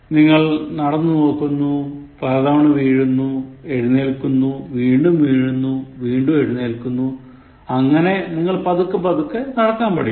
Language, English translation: Malayalam, You do it, you experience it and then you fail numerous times, falling over, you fall over again and again, and then get up and then walk and then get up and walk and then you learn how to walk properly